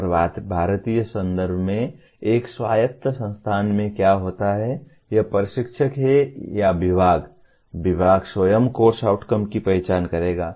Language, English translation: Hindi, And in Indian context what happens in an autonomous institution, it is the instructor or at the department, the department itself will identify the course outcomes